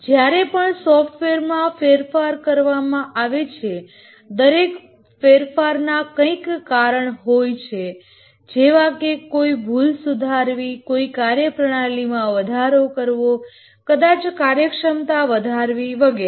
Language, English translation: Gujarati, Each time we change a software, the change may be required due to various reasons, may be to fix a bug, may be to enhance the functionality, maybe to make it have better performance and so on